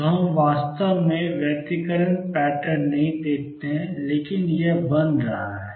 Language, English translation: Hindi, So, we do not really see the interference pattern, but it is being formed